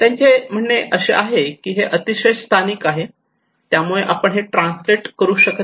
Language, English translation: Marathi, They are saying that is very localised site specific we cannot translate that one